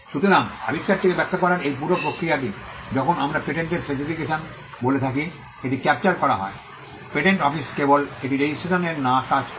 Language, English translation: Bengali, So, this entire process of explaining the invention when it is captured in what we call a patent specification, the patent office does the job of not just registering it